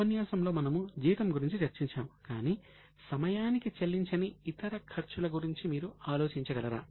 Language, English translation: Telugu, Last time we discussed about salary but do you think of any other expense which is not paid on time